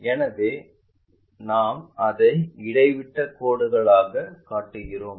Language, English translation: Tamil, So, we show it by dashed lines